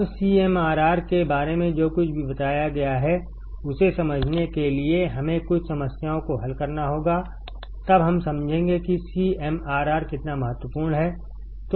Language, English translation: Hindi, Now, to understand whatever that has been told about CMRR; we have to solve some problems, then we will understand how CMRR important is